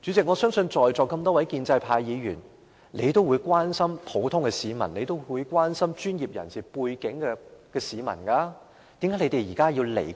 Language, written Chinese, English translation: Cantonese, 我相信在座眾多建制派議員都關心普通市民及專業人士，為何現在置他們於不顧？, I believe many pro - establishment Members present are concerned about ordinary citizens and professionals . Why do they ignore these people now?